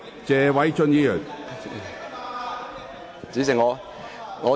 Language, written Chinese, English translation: Cantonese, 謝偉俊議員，請繼續發言。, Mr Paul TSE please continue with your speech